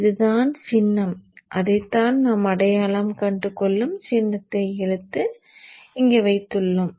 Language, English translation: Tamil, So this is the symbol and that is what we have pulled and kept it there